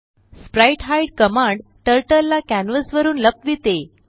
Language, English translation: Marathi, spritehide command hides Turtle from canvas